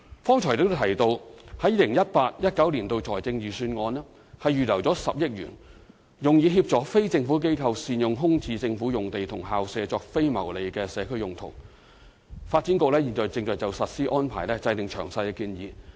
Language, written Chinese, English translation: Cantonese, 剛才亦提到在 2018-2019 財政預算案預留10億元，用以協助非政府機構善用空置政府用地和校舍作非牟利社區用途，發展局現正就實施安排制訂詳細建議。, The Government has reserved as mentioned just now 1 billion in the 2018 - 2019 Budget to assist non - governmental organizations in making good use of vacant government sites and school premises for non - profit making community uses . The Development Bureau is now formulating the implementation details of the arrangement